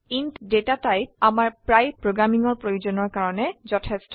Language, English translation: Assamese, The Data type int is enough for most of our programming needs